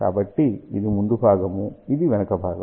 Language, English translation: Telugu, So, this is the front this is the back